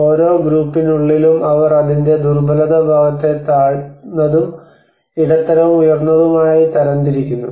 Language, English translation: Malayalam, And within each group they also categorize the vulnerability part of it low, medium, and high